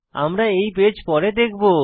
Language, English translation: Bengali, We will create this page later